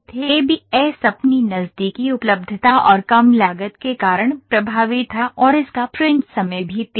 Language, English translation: Hindi, ABS was cost effective because of its close availability and low cost as well and it has a quicker print time